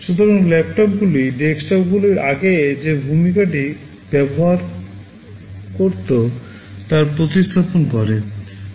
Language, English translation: Bengali, So, laptops are replacing the role that desktops used to have earlier